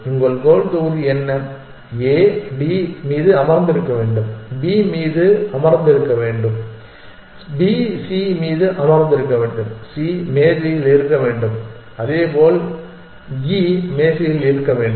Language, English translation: Tamil, Then, you add one further block what do your destination block A should be sitting on D should be sitting on B and B should be sitting on C and C should be on the table and likewise for E should be on the table